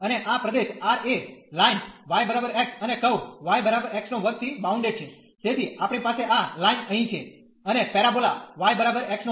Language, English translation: Gujarati, And this region is R is bounded by the line y is equal to x and the curve y is equal to x square